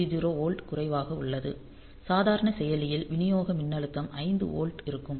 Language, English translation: Tamil, 3 0 volt whereas, the normal processor the supply voltage will be 5 volt